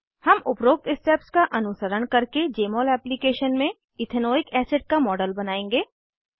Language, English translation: Hindi, We will follow the above steps and create the model of Ethanoic acid in Jmol application